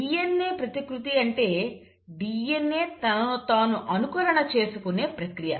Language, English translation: Telugu, So this is how DNA replication takes place